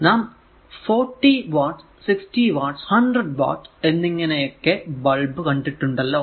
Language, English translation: Malayalam, So, 40 watt that later will see 40 watt, 60 watt or 100 watt right